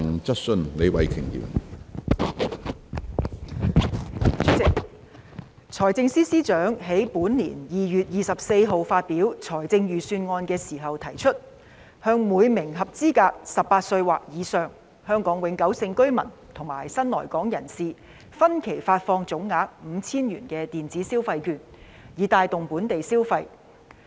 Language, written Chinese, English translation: Cantonese, 主席，財政司司長於本年2月24日發表《財政預算案》時提出，向每名合資格的18歲或以上香港永久性居民及新來港人士，分期發放總額 5,000 元的電子消費券，以帶動本地消費。, President when delivering the Budget on 24 February this year the Financial Secretary proposed issuing electronic consumption vouchers in instalments with a total value of 5,000 to each eligible Hong Kong permanent resident and new arrival aged 18 or above so as to stimulate local consumption